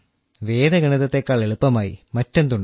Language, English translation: Malayalam, And what can be simpler than Vedic Mathematics